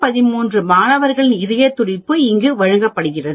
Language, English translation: Tamil, Heart beat of 113 students is given there